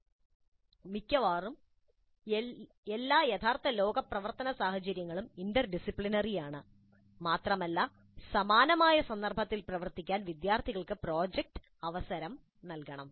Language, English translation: Malayalam, So almost all real world work scenarios are interdisciplinary in nature and the project must provide the opportunity for students to work in a similar context